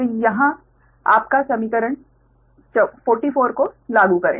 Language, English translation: Hindi, you apply equation forty four